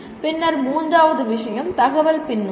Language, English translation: Tamil, And then third point is informative feedback